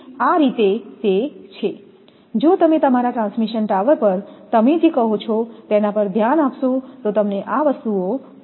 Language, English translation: Gujarati, So, this is how if you look at what you call at that your transmission tower you will find these things are there